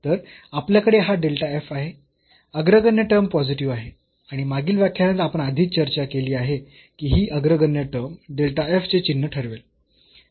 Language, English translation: Marathi, So, we have this delta f, the leading term is positive and we have already discussed in the last lecture that this leading term will decide the sign of this delta f